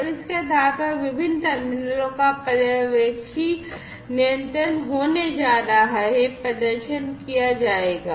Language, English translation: Hindi, And based on that supervisory control of the different terminals are going to be supervisory control, is going to be performed